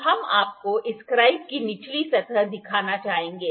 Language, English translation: Hindi, So, we will like to show you the bottom surface of this scriber